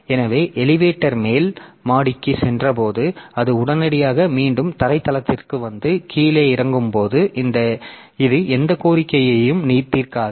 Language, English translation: Tamil, So, as if the elevator has gone to the top floor and then it immediately comes back to the ground floor and while it is coming down so it does not solve any request